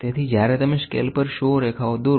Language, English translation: Gujarati, So, when you draw 100 lines marks on a scale